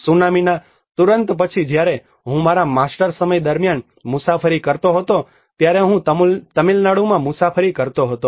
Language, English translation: Gujarati, When I was traveling during my masters time immediately after the tsunami, I was travelling in Tamil Nadu